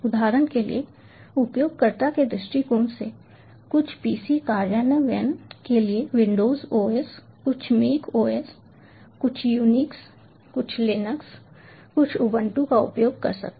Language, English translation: Hindi, and from a user point of view, some pcs, for example, might be implementing, might be using the windows os, some mac os, some unix, some linux, some ubuntu